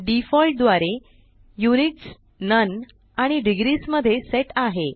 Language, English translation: Marathi, By default, Units is set to none and degrees